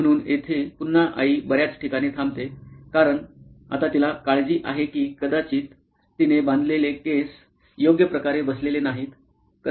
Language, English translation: Marathi, So, here again mom stops at several places because now she is concerned whether she is probably her hair does not fit in correctly as she wants it to be